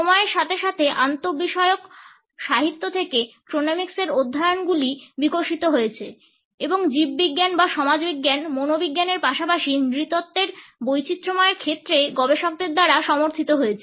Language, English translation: Bengali, Studies of chronemics have developed from interdisciplinary literature on time and they have been also supported by researchers in diversified fields of biology or sociology, psychology as well as anthropology